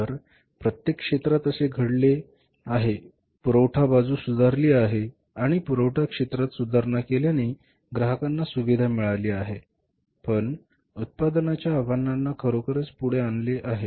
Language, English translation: Marathi, Supply side has improved and the improvement in the supply site has, has say, facilitated the customer but really put forward the challenges for the manufacturers